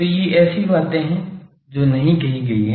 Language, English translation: Hindi, So, these are things that was not said